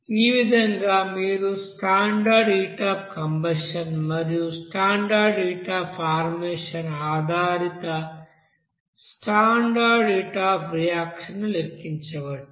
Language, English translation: Telugu, So based on this you know standard heat of combustion you have to calculate what will be the standard heat of reaction